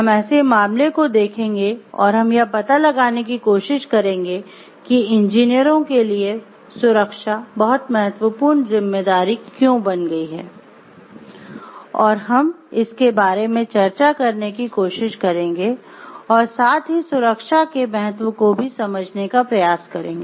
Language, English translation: Hindi, So, we will follow the case and we try to find out we will try to see, explore, why safety has become a very important responsibility for the engineers and we will try to discuss about it and we explain it and try to see the importance of safety